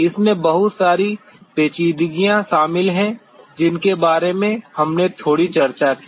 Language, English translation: Hindi, There are lots of intricacies involved which we discussed a little bit about them